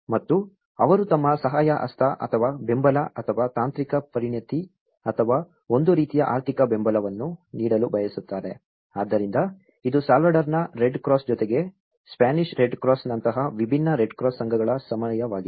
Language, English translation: Kannada, And they want to give their helping hand or the support or the technical expertise or a kind of financial supports so, that is how this is the time different red cross associations like one is a Spanish red cross along with the Salvadoran red cross